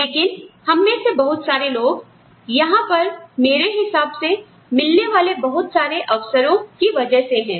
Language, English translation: Hindi, But, many of us, I think, most of us are here, because of the large number of opportunities, we get